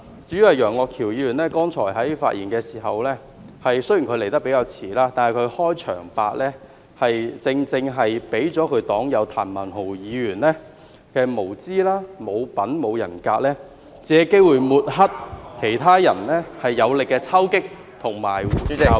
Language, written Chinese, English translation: Cantonese, 至於楊岳橋議員剛才的發言，雖然他比較遲才發言，但他的開場白正正顯示其黨友譚文豪議員的無知、無品、無人格，借機會抹黑其他人有力的抽擊及教育。, As regards Mr Alvin YEUNGs speech just now although he spoke quite late his opening remarks revealed exactly the ignorance as well as the lack of manners and integrity of his party comrade Mr Jeremy TAM who took opportunities to discredit the powerful criticism and inspiring advice from others